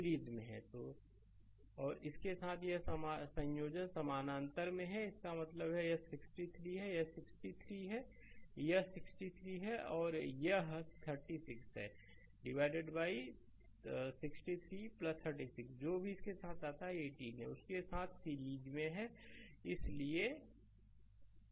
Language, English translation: Hindi, And with that this combine is in parallel that means, it is equivalent is 63 your this is 63 ohm and this is 36 right, divided by 63 plus 36 whatever it comes with that 18 ohm is in series with that so, that is equal to what right